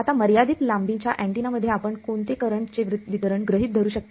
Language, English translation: Marathi, Now in a finite length antenna what current distribution will you assume